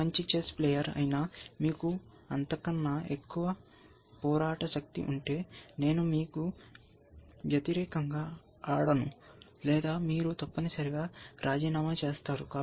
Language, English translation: Telugu, And then any good chess player will say, if you have that much more fighting power, I am not going to play against you or rather you would resigned essentially